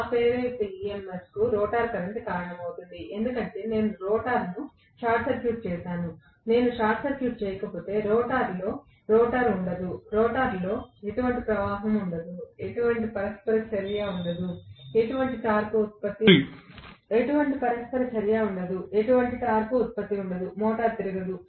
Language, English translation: Telugu, That induced EMF causes a rotor current, because I have short circuited the rotor, if I do not short circuit the rotor there will not be any current in the rotor, there will not be any flux in the rotor, there will not be any interaction, there will not be any torque production, the motor will not rotate